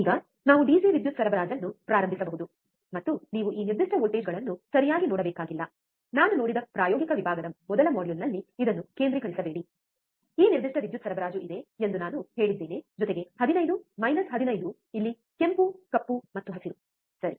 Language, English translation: Kannada, Now, we can start the DC power supply, and you do not have to see this particular voltages ok, do not do not concentrate this in the first module in the experimental section I have see, I have said that this particular power supply it has plus 15 minus 15 here red black and green, right